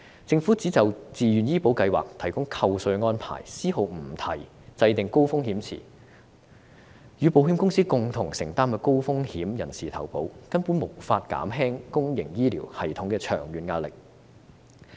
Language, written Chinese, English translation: Cantonese, 政府提出就自願醫保計劃提供扣稅安排，絲毫不提制訂高風險池，與保險公司共同承擔高風險人士投保，這樣根本無法減輕公營醫療系統的長遠壓力。, The Government has proposed to provide tax deduction under VHIS without mentioning a word about setting up the High Risk Pool and sharing the cost with insurance companies for the insurance coverage of high - risk individuals . In this way it is absolutely impossible to alleviate the long - term pressure on the public health care system